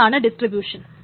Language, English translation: Malayalam, This is called distribution